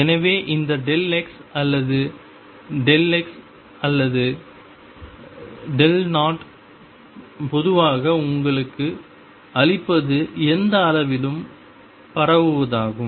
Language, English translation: Tamil, So, what this delta x or delta p or delta O in general gives you is the spread in any quantity